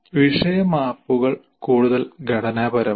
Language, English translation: Malayalam, And topic maps are further more structure